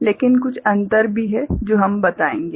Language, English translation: Hindi, So, there is some difference that we shall also tell